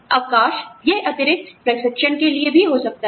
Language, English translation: Hindi, Time off, it could also be, for additional training